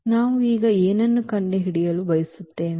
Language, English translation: Kannada, And what we want to now find